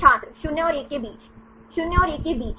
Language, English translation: Hindi, Between 0 and 1 Between 0 and 1